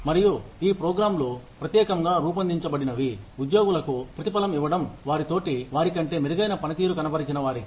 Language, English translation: Telugu, And, these are programs, that are specifically designed, to reward the employees, that perform better than their peers